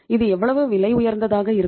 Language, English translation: Tamil, How expensive it will be